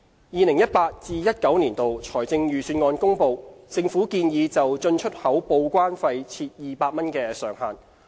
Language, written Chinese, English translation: Cantonese, 2018-2019 年度財政預算案公布，政府建議就進出口報關費設200元上限。, As announced in the 2018 - 2019 Budget the Government proposes to cap the import and export declaration TDEC charges at 200